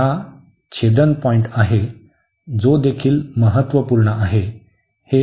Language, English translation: Marathi, The point of intersection that is also important